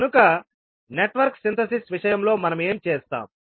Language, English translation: Telugu, So in case of Network Synthesis what we will do